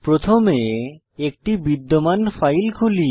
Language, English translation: Bengali, Lets first open an existing file